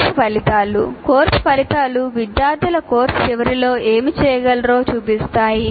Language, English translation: Telugu, Course outcomes present what the student should be able to do at the end of the course